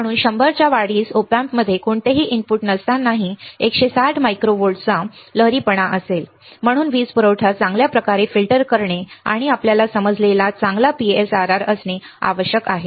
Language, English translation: Marathi, Therefore, a gain of 100 the output will have ripple of 160 micro volts even when there is no input to the Op amp, this is why it is required to filter power supply well and to have a good PSRR you understand